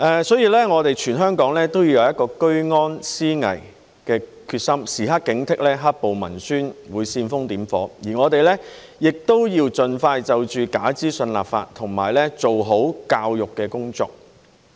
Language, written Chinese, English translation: Cantonese, 所以，我們全香港都要有一個居安思危的決心，時刻警惕"黑暴"文宣會煽風點火，而我們亦要盡快就假資訊立法及做好教育工作。, Therefore all of us in Hong Kong should have the determination to be prepared for danger in times of peace and stay alert at all times for black - clad violence propaganda stoking the fire . In addition we should introduce legislation on false information and make proper educational efforts as soon as possible